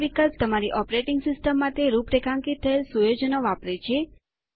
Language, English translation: Gujarati, This option uses the settings configured for your operating system